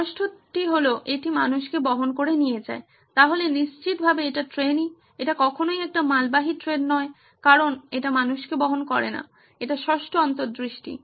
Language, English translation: Bengali, The sixth one it carries people yes train for sure, it is not freight train because it carries people, this is the sixth insight